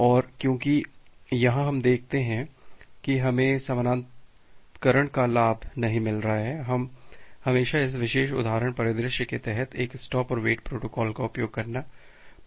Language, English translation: Hindi, And because here, we see that we are not getting the advantage of parallelization, we always prefer to use a stop and wait protocol under this particular example scenario